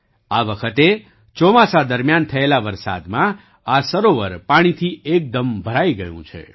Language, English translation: Gujarati, This time due to the rains during the monsoon, this lake has been filled to the brim with water